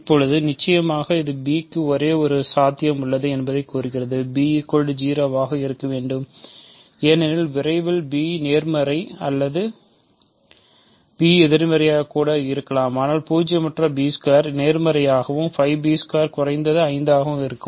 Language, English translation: Tamil, Now, certainly this implies that there is only b has only one possibility because b must be 0, because as soon b is positive or b is negative, but nonzero b squared will be positive and 5 b squared will be at least 5